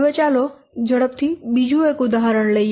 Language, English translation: Gujarati, We can take another example here